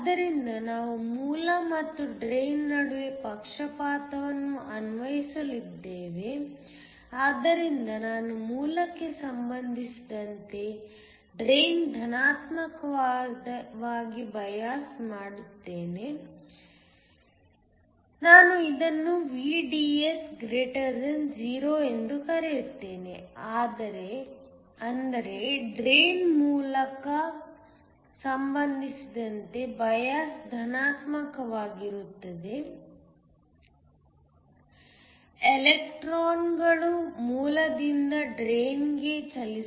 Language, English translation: Kannada, So, We are going to apply a bias between the source and the drain, so I will bias the drain positive with respect to the source let me call this VDS > 0, which means the drain is bias positive with respect to the source so that electrons can move from the source to the drain